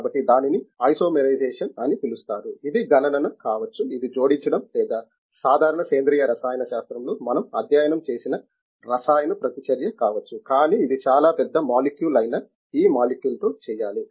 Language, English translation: Telugu, So, this is called can be isomerization, it can be calculation, it can be addition or whatever chemical reaction that we have studied in general organic chemistry, but it has to be done with this molecules which is a very big molecules